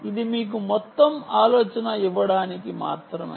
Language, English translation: Telugu, ok, this is just to give you a overall idea